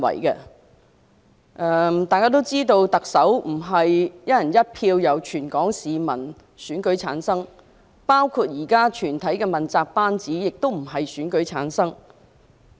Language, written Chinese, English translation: Cantonese, 眾所周知，特首並非由全港市民"一人一票"選出，現時整個問責班子亦不是經選舉產生。, As we all know the Chief Executive is not elected by the people of Hong Kong on a one person one vote basis and the entire accountability team is also not returned by election for the time being